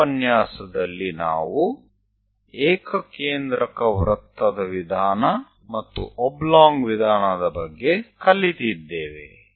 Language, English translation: Kannada, So, in this lecture, we have learned about concentric circle method and oblong method